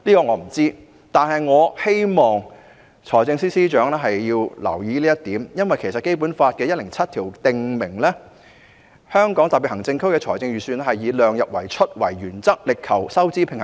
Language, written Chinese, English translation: Cantonese, 我不知道，但我希望財政司司長會留意這一點，因為《基本法》第一百零七條訂明，"香港特別行政區的財政預算以量入為出作原則，力求收支平衡"。, I do not know but I hope that the Financial Secretary will pay attention to this point because Article 107 of the Basic Law provides that The Hong Kong Special Administrative Region shall follow the principle of keeping expenditure within the limits of revenues in drawing up its budget and strive to achieve a fiscal balance